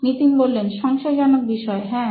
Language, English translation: Bengali, Doubtful topics, yes